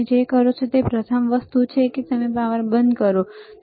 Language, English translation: Gujarati, First thing that you do is you switch off the power, all right